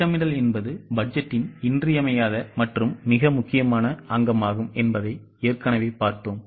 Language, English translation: Tamil, We have already seen that planning is the essential and the most important component of budget